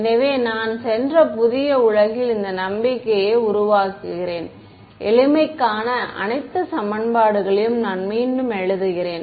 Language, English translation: Tamil, So, I am just in this make belief new world that I have gone into, I am just rewriting all the equations for simplicity ok